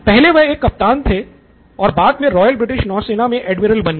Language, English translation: Hindi, So he was a captain and later became an admiral with the Royal British Navy